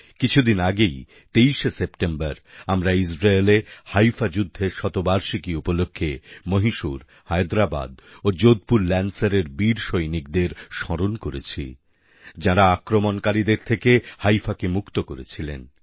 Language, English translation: Bengali, A few days ago, on the 23rd of September, on the occasion of the centenary of the Battle of Haifa in Israel, we remembered & paid tributes to our brave soldiers of Mysore, Hyderabad & Jodhpur Lancers who had freed Haifa from the clutches of oppressors